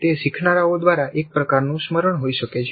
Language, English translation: Gujarati, It can be some kind of a recollection by the learners